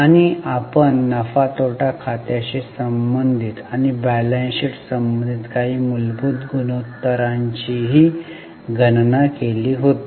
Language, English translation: Marathi, And we had also calculated some basic ratios related to P&L and related to balance sheet